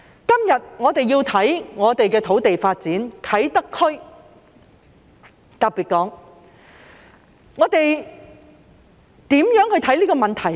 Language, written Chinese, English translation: Cantonese, 今天，我們要研究土地發展，特別是啟德區，我們如何去看這個問題呢？, Today we are going to examine land development especially the Kai Tak Area . How should we look at this issue?